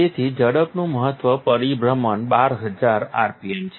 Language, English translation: Gujarati, It has a maximum rotation of speed of 12000 rpm